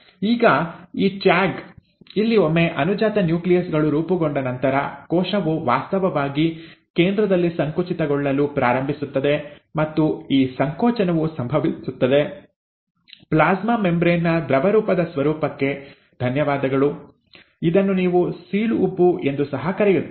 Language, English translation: Kannada, Now, this tag, where, once a daughter nuclei have been formed, the cell actually starts constricting at the centre, right, and this constriction happens, thanks to the fluidic nature of the plasma membrane, this is what you also call as the cleavage furrow